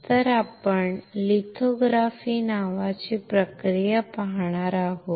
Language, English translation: Marathi, So, what we will see is a process called lithography